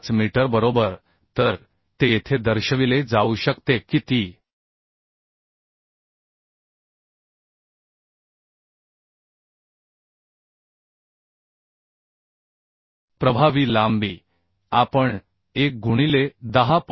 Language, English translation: Marathi, 5 meter right So that can be shown here that that effective length we can find out as 1 into 10